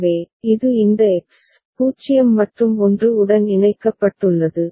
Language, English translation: Tamil, So, this is connected to this X, 0 and 1